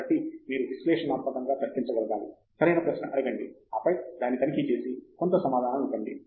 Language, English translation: Telugu, So, you should be able to analytically reason out, ask the right question, postulate some answer, and then, check it out and then